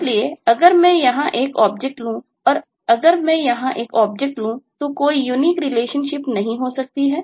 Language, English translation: Hindi, so if i take an object here and if i take an object here, then there may not be any unique relationship